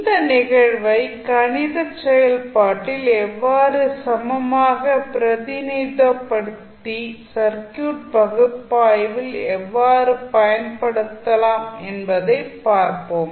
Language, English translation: Tamil, Then we will see how we can equivalently represent that event also into the mathematical function so that we can use them in our circuit analysis